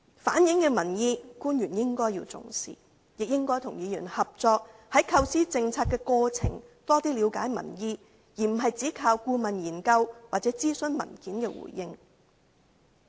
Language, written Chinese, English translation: Cantonese, 官員應該重視我們反映的民意，亦應該與議員合作，在構思政策的過程中，多了解民意，而並非只靠顧問研究或諮詢文件接獲的回應。, The officials should attach importance to the public views relayed by us . They should also cooperate with Members and learn more about public views in the course of making policies rather than merely relying on consultancy studies or feedback on consultation papers